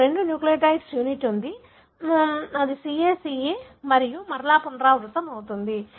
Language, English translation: Telugu, You have two nucleotide unit that is repeating CA, CA and so on